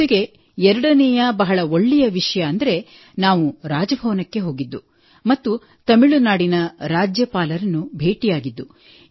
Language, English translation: Kannada, Plus the second best thing was when we went to Raj Bhavan and met the Governor of Tamil Nadu